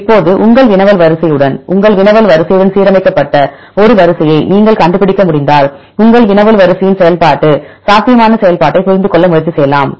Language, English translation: Tamil, Now, with your query sequence, if you could find a sequence which is aligned with your query sequence then you can try to understand the function probable function of your query sequence